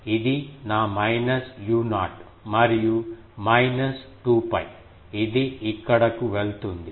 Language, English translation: Telugu, This is my minus u 0 and minus 2 pi, it will go here